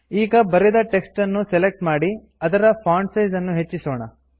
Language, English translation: Kannada, Now, lets select the text and increase the font size